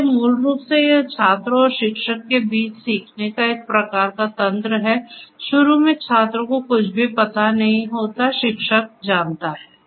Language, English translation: Hindi, So, basically it is a learning kind of mechanism between the student and the teacher initially the student does not know anything, teacher knows